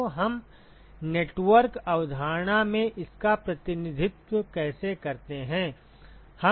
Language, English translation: Hindi, So, how do we represent that in a network concept